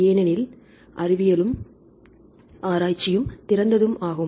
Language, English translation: Tamil, Because science is open and research is open